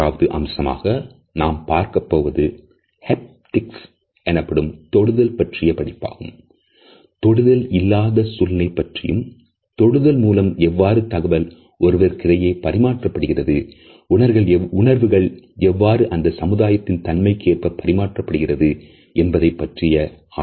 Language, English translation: Tamil, The third aspect, which we shall look at is known as Haptics which is the language of touch or let us say it also studies the absence of touch in those situations, where it matters it analyzes communication which is done through human touch and how this touch communicates our feelings and emotions whether it is socially appropriate or not